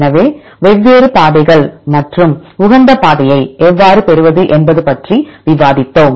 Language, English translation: Tamil, So, we discussed about different pathways and how to obtain the optimal path